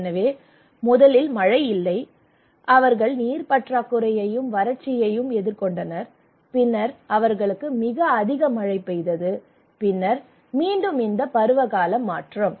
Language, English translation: Tamil, So first there is no rain and they were facing water scarcity and drought, and then they have very heavy rain or flat and then again this seasonal shift you can see